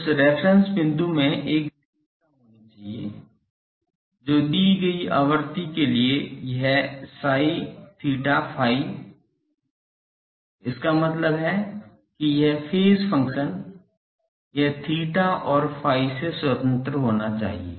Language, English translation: Hindi, That reference point should have a characteristic that, for a given frequency this psi theta phi; that means, this phase function, this should be independent of theta and phi